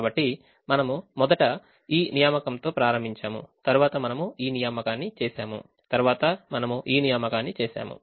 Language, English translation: Telugu, so we first started with this assignment, then we did this assignment, then we did this assignment and then we did this assignment